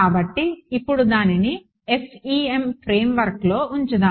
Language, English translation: Telugu, So, now let us put it into the FEM framework